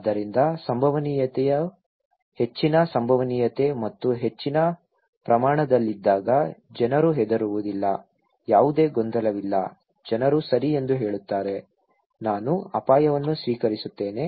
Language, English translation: Kannada, So, people don’t care when the probability is let’s say high probability and high magnitude, there is no confusion, people say okay, I accept the risk